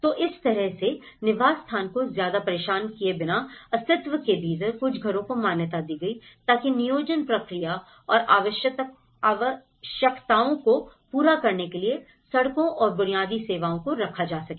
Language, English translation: Hindi, So, in that way, within the existence without disturbing much of the habitat, so a few households have been recognized so that roads and basic services could be laid out in order to meet for the planned process and the requirements